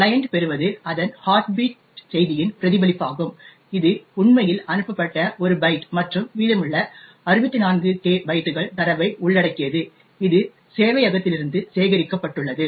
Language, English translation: Tamil, Thus, what the client obtains is the response to its heartbeat message comprising of just one byte which is actually sent and the remaining almost 64K bytes of data which it has gleaned from the server